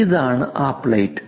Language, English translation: Malayalam, This is the plate